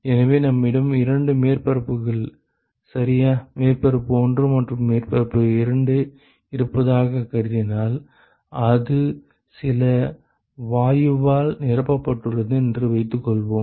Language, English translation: Tamil, So, if we suppose we assume that we have two surfaces ok, surface 1 and surface 2 and let us say it is filled with some gas ok